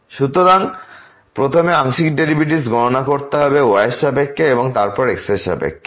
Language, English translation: Bengali, So, one has to first compute the partial derivative with respect to and then with respect to